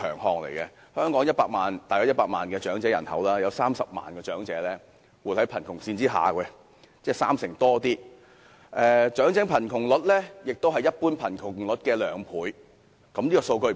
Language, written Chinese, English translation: Cantonese, 香港大約有100萬長者人口，當中30萬名活在貧窮線下，而長者貧窮率是一般貧窮率的兩倍。, The elderly population in Hong Kong is around 1 million . Among these people 300 000 over 30 % are living below the poverty line whereas the elderly poverty rate is twice the general poverty rate